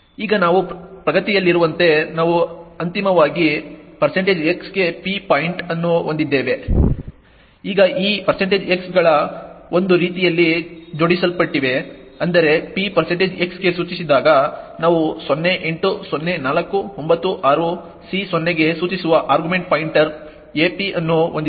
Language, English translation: Kannada, Now as we progress, we eventually have p pointing to % s, now these % xs are arranged in such a way such that when p is pointing to % s we have the argument pointer ap pointing to 080496C0